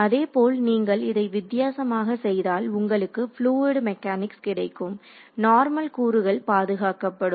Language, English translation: Tamil, Similarly you do a different construction you get the fluid mechanics case, the normal component is conserved